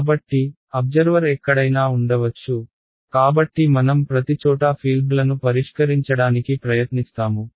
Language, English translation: Telugu, So, observer could be anywhere, so I will try to solve for the fields everywhere right